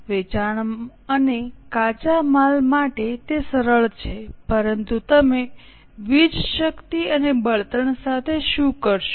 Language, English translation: Gujarati, For sales and raw material it is simple but what will you do with power and fuel